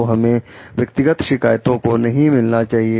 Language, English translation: Hindi, So, we should not mix personal grievances